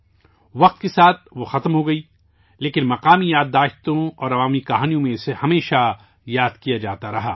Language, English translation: Urdu, As time went by, she disappeared, but was always remembered in local memories and folklore